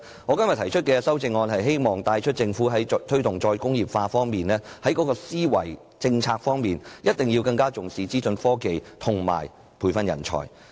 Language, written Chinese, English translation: Cantonese, 我今天提出的修正案旨在帶出一個信息，就是政府在推動"再工業化"的政策思維時，必須更重視資訊科技和培訓人才。, The amendment I proposed today brings out the message that the Government must pay more attention to information technology and talent training while promoting the policy of re - industrialization